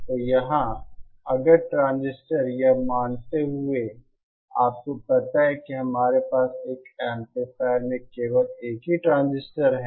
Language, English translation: Hindi, So here, if the transistorÉ Assuming that you know we have only a single transistor in an amplifier